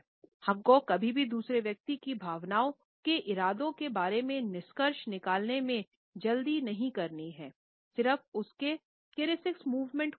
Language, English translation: Hindi, We should never be in a hurry to conclude about the intentions of feelings of the other person simply by looking at an isolated kinesics movement